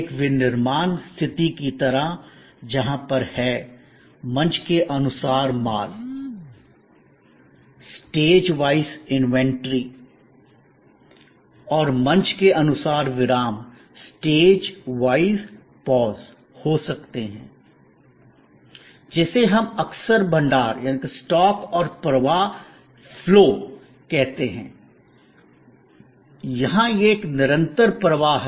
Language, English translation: Hindi, Like in a manufacturing situation, where there are, there can be stage wise inventories and stage wise pauses, what we often call stock and flow, here it is a continuous flow